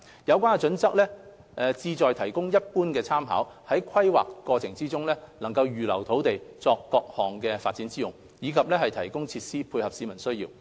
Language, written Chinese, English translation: Cantonese, 有關準則旨在提供一般參考，在規劃過程中預留土地作各項發展之用，以及提供設施配合市民需要。, The relevant guidelines serve as general reference for the Government to at the planning stage reserve land for different developments and facilities to meet the publics needs